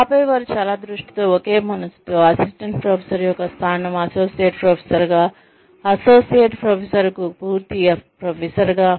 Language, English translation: Telugu, And then, they single mindedly, in a very focused manner, move from, say, the position of an assistant professor to associate professor, associate professor to full professor